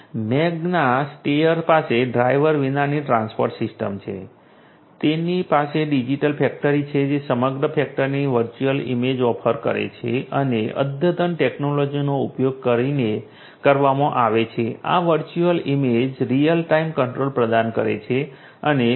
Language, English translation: Gujarati, Magna steyr has the driverless transport system, they have the digital factory which offers a virtual image of the entire factory and that is done using advanced technologies this virtual image provides real time control and detects in the anomaly